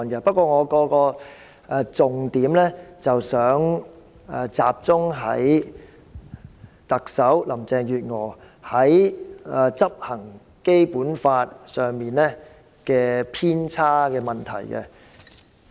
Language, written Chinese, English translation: Cantonese, 不過，我的重點集中在特首林鄭月娥在執行《基本法》上的偏差。, But I will focus on how the Chief Executive Carrie LAM has deviated from the Basic Law when implementing it